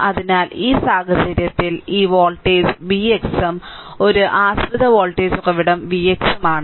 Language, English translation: Malayalam, So, in this case this voltage is v x and one dependent voltage source is there v x right